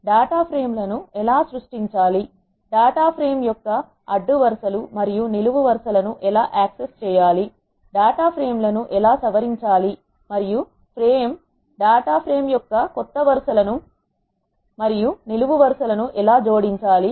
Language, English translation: Telugu, How to create data frames, how to access rows and columns of data frame, how to edit data frames and how to add new rows and columns of the data frame